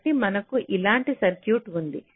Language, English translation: Telugu, so we consider the circuit